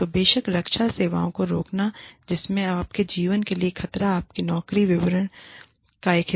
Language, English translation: Hindi, So, of course, barring the defense services in which, the danger to your life, is a part of your job description